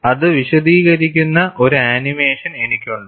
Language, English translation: Malayalam, I have an animation which explains that